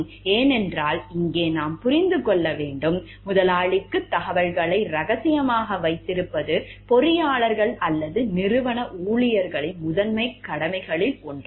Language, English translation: Tamil, Because here we have, we have to understand, keeping the confidentially of the information for the employer is one of the primary duties of the engineers or the employees of the organization